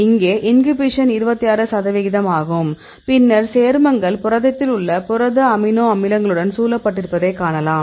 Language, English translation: Tamil, So, here the inhibition is 26 percentage and then see this is the compound and you can see the surrounded with the protein amino acids in the protein